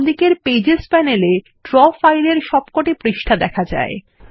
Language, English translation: Bengali, The Pages panel on the left displays all the pages in the Draw file